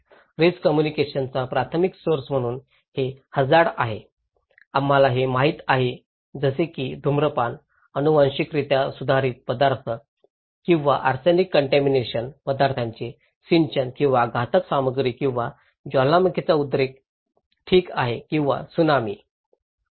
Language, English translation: Marathi, Primary source of risk communication so these are hazards, we know like smoking, genetically modified foods or irrigations of arsenic contaminations or hazardous material or volcanic eruptions okay or Tsunami